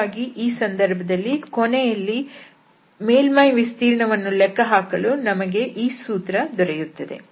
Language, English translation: Kannada, So, in this case, we have finally this formula for computation of the surface area